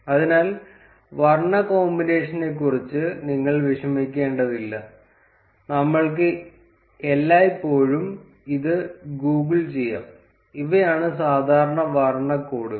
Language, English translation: Malayalam, So, you do not need to worry about the color combination, we can always Google it, these are the standard color codes